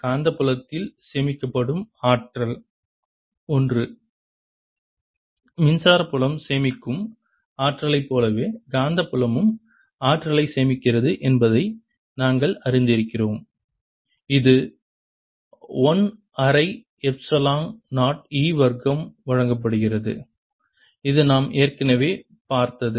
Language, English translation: Tamil, we have learnt that magnetic field stores energy exactly in the same way, similar to an electric field stores energy, and that is given as one half epsilon zero e square, which we had already seen, and today's lecture